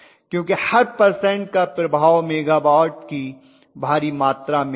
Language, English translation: Hindi, Because the impact of every percentage will be huge amount of megawatt that is the reason